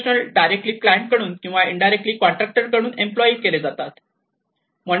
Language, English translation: Marathi, They may be employed directly by a client or indirectly through a contractor